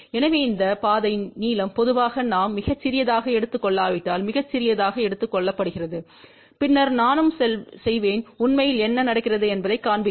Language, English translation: Tamil, So, this path length is generally taken very very small if we do not take small, then also I will show you what really happen